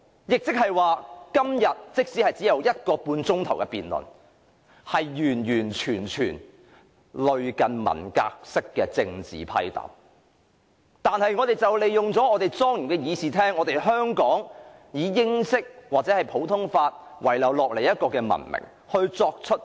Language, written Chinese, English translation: Cantonese, 即是說，即使今天的辯論時間只有1小時30分鐘，卻完全是類近文革式的政治批鬥，而我們就利用了莊嚴的會議廳、香港的英式議會傳統或普通法遺留下來的文明作出批鬥。, It means that even the debate today will only last for one hour and 30 minutes it completely resembles a political struggle session conducted in the Cultural Revolution style . And we use this solemn Chamber the legacy of the British parliament in Hong Kong or the civilization left behind by the common law system to engage in political struggles